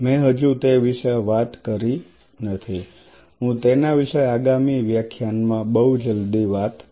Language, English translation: Gujarati, I have not talked about that I will I will talk about very soon in the next class on it